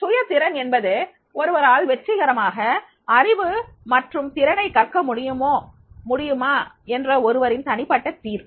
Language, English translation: Tamil, Self efficacy is a person's judgment about whether he or she can successfully learn knowledge and skills